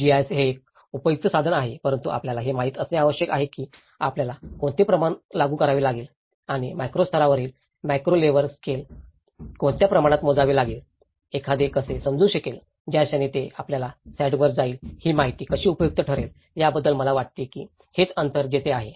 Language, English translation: Marathi, Also, the GIS is one of the useful tool but one has to know that what scale you have to apply and what scale the macro level scale to the micro level scale, how one can understand, the moment it goes to your site level how this information would be useful, I think that is where the gap comes in between